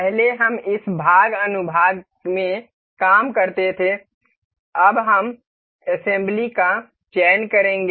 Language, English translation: Hindi, Earlier you we used to work in this part section, now we will be selecting assembly